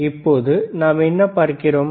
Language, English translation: Tamil, Now, what we see